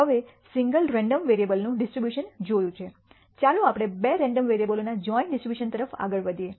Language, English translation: Gujarati, Now, having seen the distribution of single random variable, let us move on to the joint distribution of two random variables